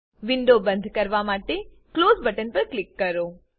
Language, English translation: Gujarati, Let us click on Close button to close the window